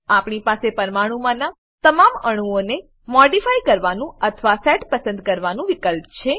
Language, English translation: Gujarati, We have an option to modify all the atoms in the molecule or a select set